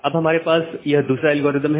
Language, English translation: Hindi, Well now, we have another algorithm